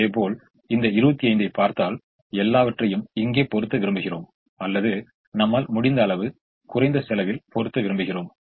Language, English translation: Tamil, similarly, if we look at this twenty five, we would like to put everything here in this, or we would like to put as much as we can in the least cost position